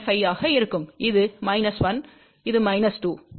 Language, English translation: Tamil, 5, along this it is 1